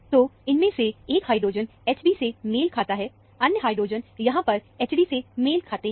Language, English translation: Hindi, So, one of these hydrogen corresponds to H b; the other hydrogen, which is here, corresponds to H d